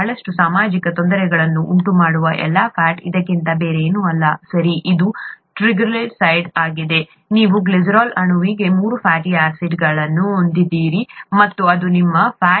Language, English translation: Kannada, All the fat that that causes a lot of social difficulty is nothing but this, okay, it is a triglyceride, you have three fatty acids attached to a glycerol molecule and that is your fat